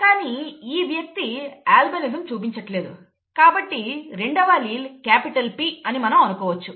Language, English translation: Telugu, And since this person is not showing albinism allele has to be capital P